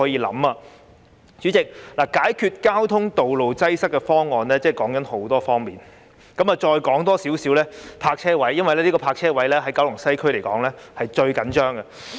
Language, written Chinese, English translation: Cantonese, 代理主席，解決道路擠塞的方案涉及很多方面，我再說一說關於泊車位的問題，因為泊車位的供應在九龍西區是最緊張的。, Deputy President the solution to road traffic congestion involve many aspects . Let me talk about the problem relating to parking spaces since the supply of parking spaces is always tight in Kowloon West